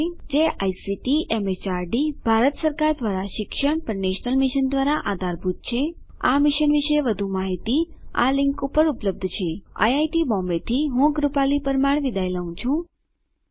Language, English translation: Gujarati, It is supported by the National Mission on Education through ICT, MHRD, Government of India More information on this Mission is available at this link http://spoken tutorial.org/NMEICT Intro ] This is Madhuri Ganpathi from IIT Bombay signing off